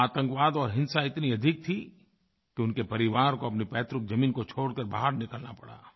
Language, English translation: Hindi, Terrorism and violence were so widespread there that his family had to leave their ancestral land and flee from there